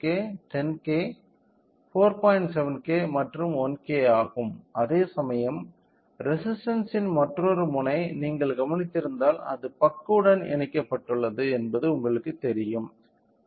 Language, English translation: Tamil, 7K and 1K whereas, other end of the resistance if you noticed it is you know connected to the buck connectors